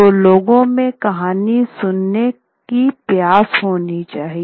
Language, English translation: Hindi, The point is there has to be a thirst for the story